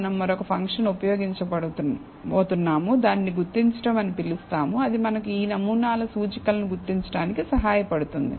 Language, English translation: Telugu, We are going to use another function called identify, that will help us identify the indices of these samples